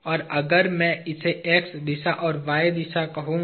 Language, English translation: Hindi, So, if I take; I am going to call this as x direction and this as y direction